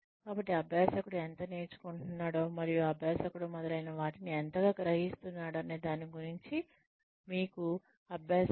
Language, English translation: Telugu, So, let the learner also, give you feedback about, how much the learner is learning and how much the learner is absorbing, etcetera